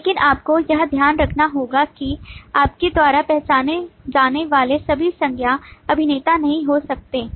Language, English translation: Hindi, But you will have to keep in mind that all nouns that you identify could be actors